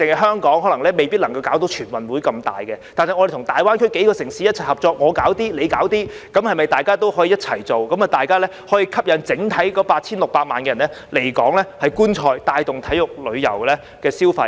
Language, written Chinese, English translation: Cantonese, 單單香港未必可以舉辦大型的全運會，但我們與大灣區數個城市一起合作，我們做一些，它們又做一些，那麼可否一起舉辦，吸引整體 8,600 萬人來港觀賽，帶動體育旅遊消費呢？, Hong Kong alone may not be able to hold large - scale National Games but if we cooperate with several cities in GBA and share the workload can we work together to attract 86 million people to come to Hong Kong to watch the games and boost sports tourism spending?